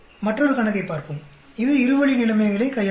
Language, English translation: Tamil, Let us look at another problem, which deals with a two way situation